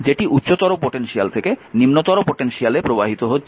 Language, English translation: Bengali, Because current is flowing from lower potential to higher potential, right